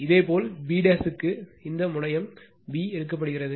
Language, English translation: Tamil, And similarly, for b dash if you look, this terminal is taken b